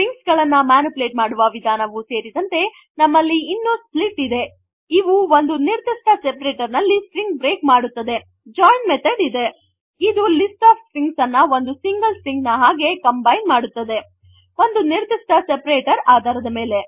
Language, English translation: Kannada, In addition to the methods that let us manipulate the strings we have methods like split which lets us break the string on the specified separator, the join method which lets us combine the list of strings into a single string based on the specified separator